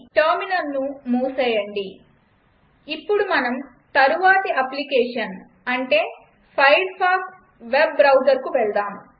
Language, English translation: Telugu, Close the terminal Now lets move on next application i.e Firefox Web Browser